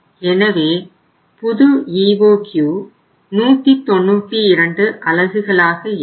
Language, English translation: Tamil, So your now EOQ new EOQ if you call it as EOQ then it will become 192 units